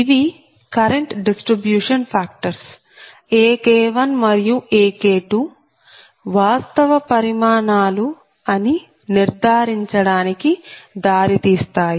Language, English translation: Telugu, these lead us to the conclusion that current distribution factors ak one and ak two are real quantities